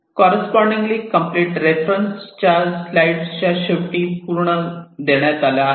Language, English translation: Marathi, the corresponding complete reference is given at the end of the slides